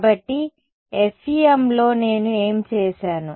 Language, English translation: Telugu, So, in the FEM what did I do